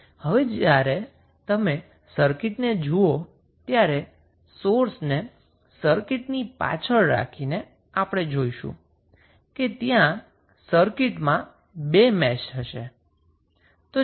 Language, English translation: Gujarati, Now, when you see the circuit, why by keeping the sources back to the circuit, you will see there would be 2 meshes in the circuit